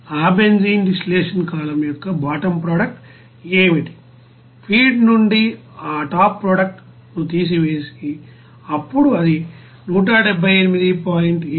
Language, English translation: Telugu, And what will be the bottom product of that benzene distillation column it can be obtained just subtracting that top product from the feed then it will be coming as 178